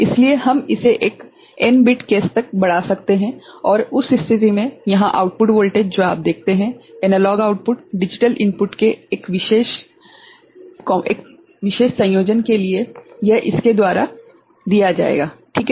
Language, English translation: Hindi, So, we can extend it to a n bit case and in that case the output voltage over here analog output that you see, for a particular combination of the digital input will be given by this one right